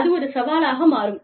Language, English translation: Tamil, So, that becomes a challenge